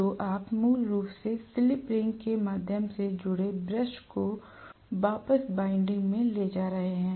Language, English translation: Hindi, So you are going to have basically the brushes connected through the slip rings back to the winding